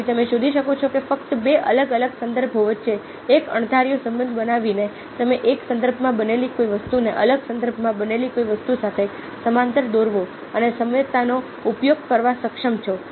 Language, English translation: Gujarati, so you find that just by making a casual relationship between two different context, ah you, you are able to relate something which happens in one context with something which happens in a different context, draw a parallel and use analogies